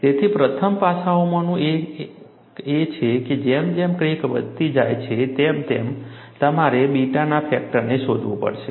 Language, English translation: Gujarati, So, one of the first aspect is, as the crack grows, you will have to find out, the factor beta, that is what is mentioned as geometry factor